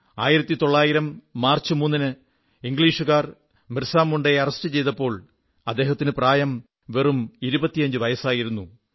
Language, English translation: Malayalam, He has written that on the 3rd of March, 1900, the British arrested BirsaMunda, when he was just 25 years old